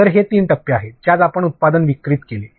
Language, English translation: Marathi, So, these are three stages in which we delivered the product